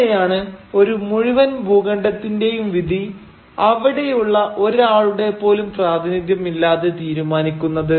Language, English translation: Malayalam, How can you decide the fate of an entire continent without any representative from that continent being there